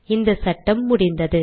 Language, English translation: Tamil, This problem is solved